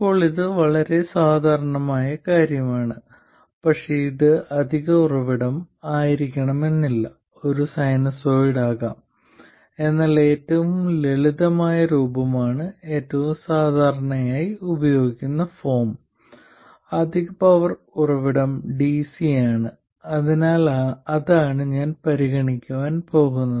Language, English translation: Malayalam, Now this is quite the common case but it doesn't have to be the additional source can also be a sinusoid but the most simple form the most commonly used form is where the additional source of power is DC so that's what I am going to consider